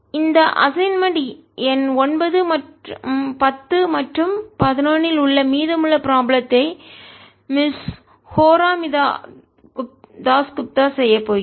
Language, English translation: Tamil, rest of the problems in this assignment, number nine, ten and eleven, are going to be done by miss horamita das gupta